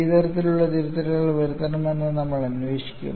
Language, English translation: Malayalam, Then we will investigate what kind of corrections that we need to make